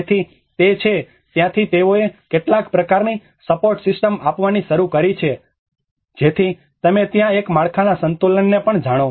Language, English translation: Gujarati, So, that is where they started giving some kind of support system at the edges so that there is a you know the balance of the structure as well